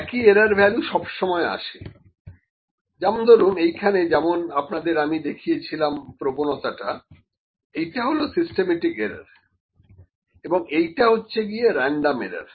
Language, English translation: Bengali, Same error value comes like this was the bias which I just showed, this is a systematic error, ok, and this is the random error